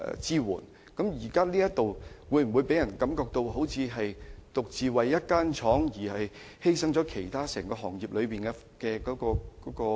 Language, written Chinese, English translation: Cantonese, 這會否予人一種感覺，便是政府為了一間公司而犧牲業內其他公司的生存空間呢？, Will this give people the feeling that the Government wants to sacrifice the room of survival of other companies in the industry for this single company?